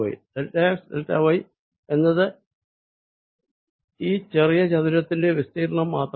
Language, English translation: Malayalam, what is delta x, delta y, delta x, delta y is nothing but the area of this small rectangle